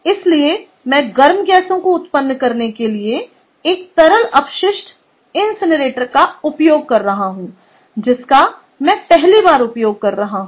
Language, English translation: Hindi, so i am using a liquid waste incinerator to generate hot gases, which i am first using for ah